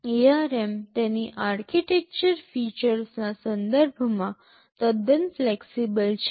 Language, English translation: Gujarati, ARM is quite flexible in terms of its architectural features